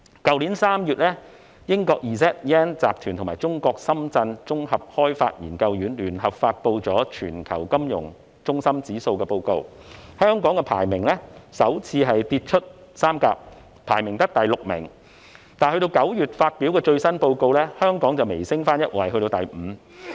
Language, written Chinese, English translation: Cantonese, 去年3月英國 Z/Yen 集團與中國綜合開發研究院聯合發布了《全球金融中心指數報告》，香港排名首次跌出三甲，只得第六名，而9月發表的最新報告，香港微升一位至第五。, Last March the ZYen Partners in the United Kingdom and the China Development Institute in Shenzhen jointly published the Global Financial Centres Index Report in which Hong Kong fell out of the first three places for the first time ranking merely the sixth . Then in the latest report published in September Hong Kong has slightly moved up one place to the fifth